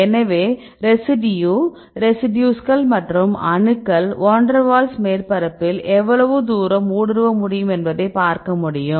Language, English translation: Tamil, So, you can role over the residue residues and the atoms right I can see how far this can penetrate in the Van der waals surface right